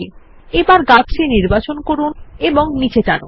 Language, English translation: Bengali, Let us select the tree and move it down